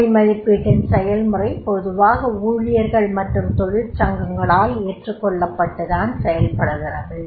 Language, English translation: Tamil, The process of job evaluation talks about that is gaining acceptance from the employees and the trade unions that becomes very, very important